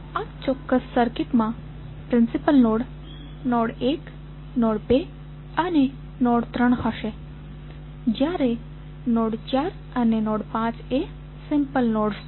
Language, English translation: Gujarati, So, in this particular circuit principal node would be node 1, node 2 and node 3 while node 4 and node 5 are the simple nodes